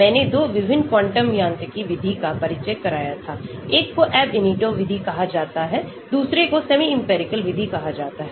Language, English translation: Hindi, I did introduce 2 different quantum mechanics method; one is called the Ab initio method, other is called the semi empirical method